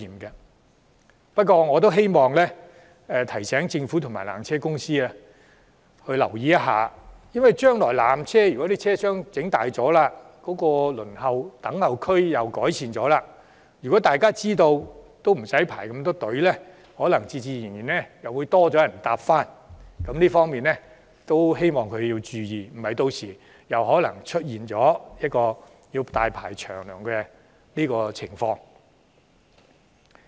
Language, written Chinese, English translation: Cantonese, 可是，我得提醒政府及纜車公司必須注意一點，就是將來當纜車車廂加大及改善輪候區設施後，當大家知道無須再排隊時，人流很可能會增加，故希望他們做好準備，以免屆時再度出現大排長龍的情況。, However I have to remind the Government and PTC that with the increase in the tramcar capacity and the improvements made to the facilities at waiting areas there will likely be higher visitors flow as people will expect that queues will no longer build up . Hence I hope they will get well prepared for such situation to avoid the building up of long queues again